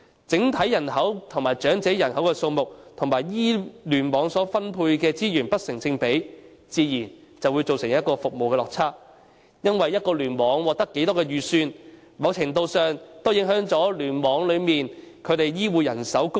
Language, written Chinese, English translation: Cantonese, 整體人口及長者人口數目與聯網所獲分配的資源不成正比，自然會造成服務的落差，因為一個聯網獲得多少撥款，某程度上會影響該聯網內的醫護人手供應。, If the resources allocated to the clusters are disproportionate to the overall population and the elderly population it is only natural that a gap will arise in the provision of services because to a certain extent the amount of funding received by a cluster will affect the supply of healthcare manpower in that cluster